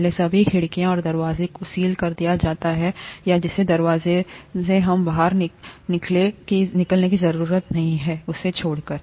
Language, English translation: Hindi, First all the windows and doors are sealed except the passage through, or the door through which we need to get out